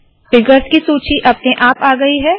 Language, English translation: Hindi, List of figures also comes automatically